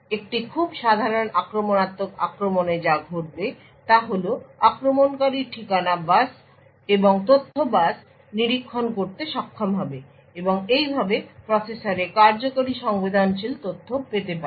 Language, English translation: Bengali, What would happen in a very typical invasive attack is that the attacker would be able to monitor the address bus and the data bus and thus gain access to may be sensitive information that is executing in the processor